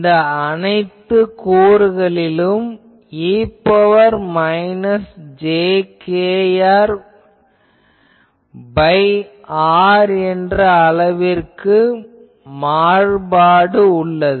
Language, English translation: Tamil, I am claiming that all these components there are variation is of the form e to the power minus jkr by r